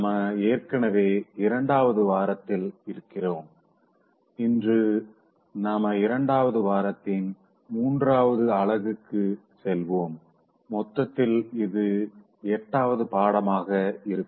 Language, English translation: Tamil, We are already in second week and today we will go to the third unit of second week and on the whole this will be the eighth lesson